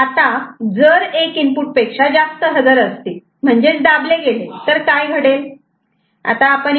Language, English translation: Marathi, Now, if more than one input is present is pressed what will happen